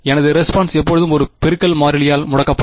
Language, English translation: Tamil, My answers will be always of by a multiplicative constant